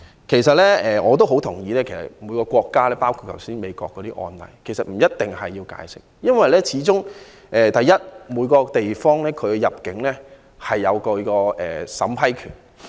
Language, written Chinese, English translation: Cantonese, 其實，我非常同意就各個案例，每個地方，包括美國，不一定需要提供解釋，因為始終每個地方都享有入境審批權。, In fact I very much agree that as far as all the cases are concerned each place including the United States does not need to offer any explanation for each place has the power of vetting and approving applications for entry